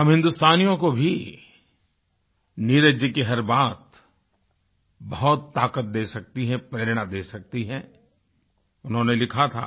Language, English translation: Hindi, Every word of Neeraj ji's work can instill a lot of strength & inspiration in us Indians